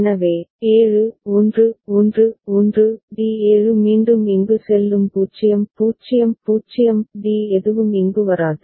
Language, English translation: Tamil, So, then 7 – 1 1 1 – D7 will go here again 0 0 0 D naught will come over here